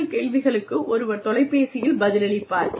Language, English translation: Tamil, And, there is somebody on the phone, to answer your questions